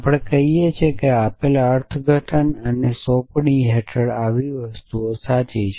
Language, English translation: Gujarati, We say that such a thing is true under a given interpretation and an assignment